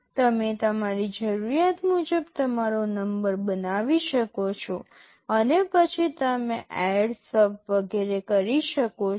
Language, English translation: Gujarati, You can make your number as per your requirement and then you can do ADD, SUB, etc